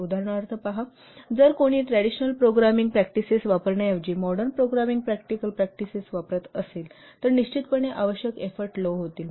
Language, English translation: Marathi, See for example if somebody is using modern programming practices rather than using the traditional programming practices, then definitely the effort required will be less